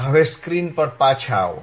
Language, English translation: Gujarati, Now, come back to the screen